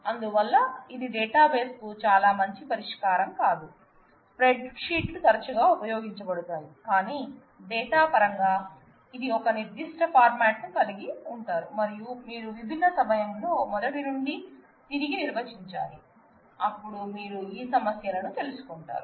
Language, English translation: Telugu, So, that also is not a very good solution for a database it is something which is with the spreadsheets will often use, but in terms of data which has a certain format and needs to be you know redefined from scratch, at a at a different time frame in a different way, then you will come across these issues